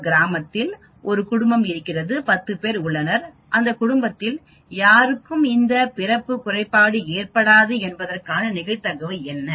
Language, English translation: Tamil, I have a family in a village there are 10 people, what is the probability that no one in that family will have this birth defect